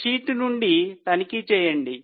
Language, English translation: Telugu, Just check from the sheet